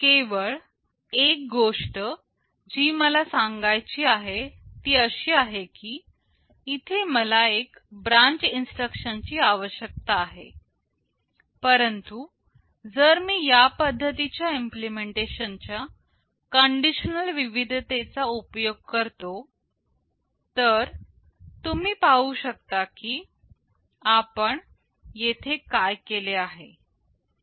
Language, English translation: Marathi, The only thing that I want to say is that, here I am requiring one branch instruction, but if I use the conditional variety of implementation like this, you see what we have done here